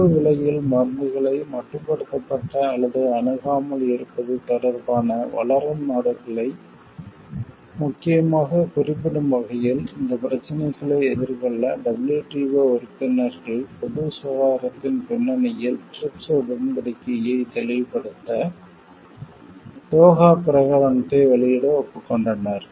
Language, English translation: Tamil, In order to come over these issues mainly with reference to the developing countries regarding limited or no access to medicines for affordable prices, the WTO members agreed to issue the Doha Declaration to clarify the TRIPS Agreement in the context of Public Health